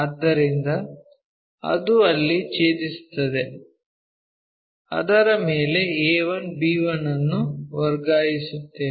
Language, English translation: Kannada, So, that is intersecting here on that transfer our a 1, b 1